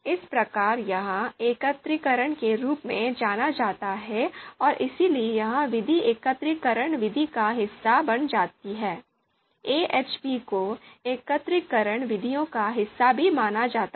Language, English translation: Hindi, So that is here referred as aggregation and that is why this method also you know this method also becomes part of aggregation method, AHP is also considered part of you know aggregation methods